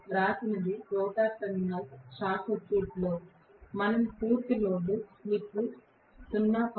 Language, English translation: Telugu, What is written is with the rotor terminals short circuited we are going to have the full load slip to be 0